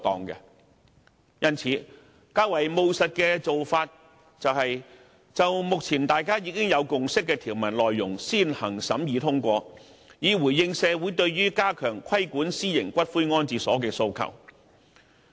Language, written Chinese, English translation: Cantonese, 因此，較為務實的做法是，就目前大家已有共識的條文內容先行審議通過，以回應社會對於加強規管私營骨灰安置所的訴求。, Thus a more practical approach is to scrutinize and pass the provisions on which consensus has been reached so as to respond to the demands of society to enhance the regulation of private columbaria